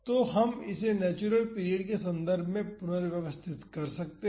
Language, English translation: Hindi, So, we can rearrange this in terms of natural period